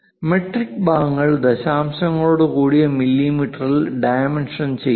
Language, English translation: Malayalam, Metric parts are dimensioned in mm with decimals